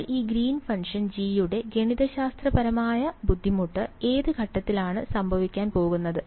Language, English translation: Malayalam, So, the mathematical difficulty with this Green’s function G is going to happen at which point